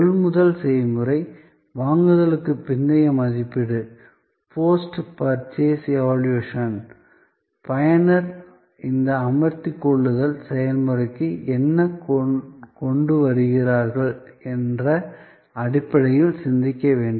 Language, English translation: Tamil, The process of purchase, the post purchase evaluation, all must be thought of in terms of what the user brings to this engagement processes